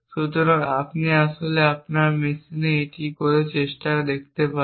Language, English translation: Bengali, So, you can actually try this out on your machines